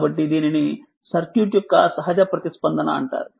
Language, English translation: Telugu, So, this is called the natural response right of the circuit